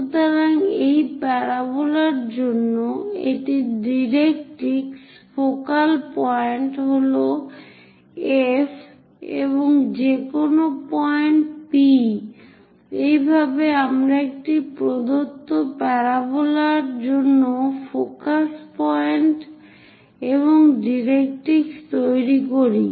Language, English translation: Bengali, So, for this parabola this is the directrix, focal point is F and any point P; this is the way we construct focus point and directrix for a given parabola